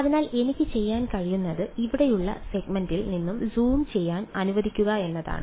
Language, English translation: Malayalam, So, what I can do is let just take one zooming in the segment over here